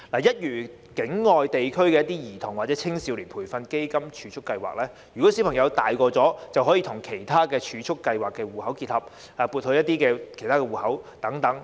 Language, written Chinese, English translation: Cantonese, 一如境外地區的一些兒童或青少年培育基金儲備計劃，當小朋友長大時，基金便可與其他儲蓄計劃的戶口結合，撥入其他戶口內。, Drawing reference from the overseas experience of implementing child or youth development fund savings programmes we may link the Fund with other savings schemes so that the funds can be transferred to other accounts when a child grows up